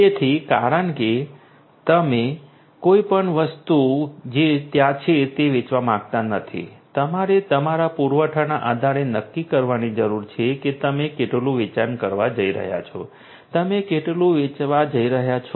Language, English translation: Gujarati, So, because you do not want to you know sell anything that is out there right, you need to determine that based on your supply how much you are going to sell; how much you are going to sell